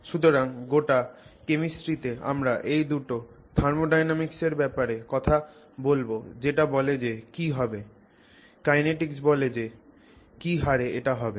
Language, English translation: Bengali, So, in all of chemistry you are essentially dealing with these two thermodynamics which tells us what will happen, kinetics which tells us at what rate that will happen